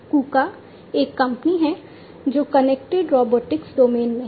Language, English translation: Hindi, KUKA is a company, which is into the connected robotics domain